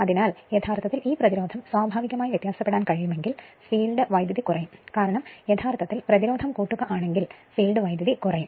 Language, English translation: Malayalam, So, if you if you can vary this resistance naturally, the field current will decrease right because, you are adding some resistance field current will decrease